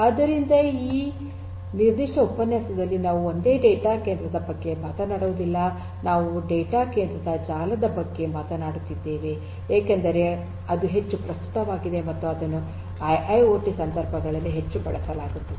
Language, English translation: Kannada, So, here in this particular lecture we are not talking about a single data centre, we are talking about a network of data centre because that is what is more relevant and that is more used in the IIoT contexts